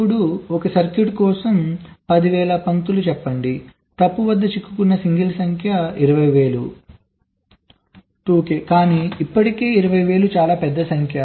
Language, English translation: Telugu, now, for a circuit with, lets say, ten thousand lines, the number of single stuck at fault will be twenty thousand, two k, but still twenty thousand is a pretty large number of